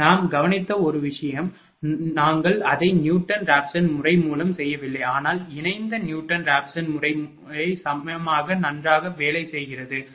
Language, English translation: Tamil, We have noticed that, you have not we have not done it through Newton Raphson method, but couple Newton Raphson method also works equally OL, right